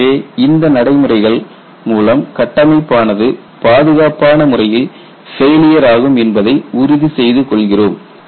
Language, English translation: Tamil, So, by these procedures you ensure the structure would fail safely